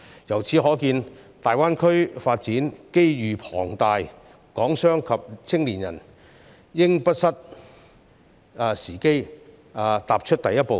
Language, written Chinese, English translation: Cantonese, 由此可見，大灣區發展機遇龐大，港商及青年人應不失時機，踏出第一步。, It is evident that there are enormous opportunities for development in the Greater Bay Area businessmen and young people of Hong Kong should grasp the opportunity to take the first step